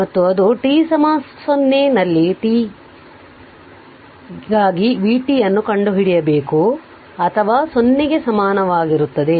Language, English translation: Kannada, And ah and it will open at t is equal to 0 you have to find out v t for t greater than or equal to 0